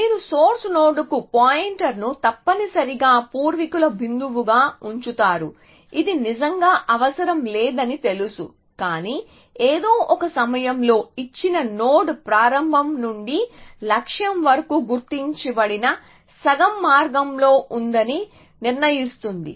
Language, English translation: Telugu, You maintain a pointer to the source node essentially an ancestor point know which do not really have to, but at some point it decides that a given node is at the half way marked from the start to the goal essentially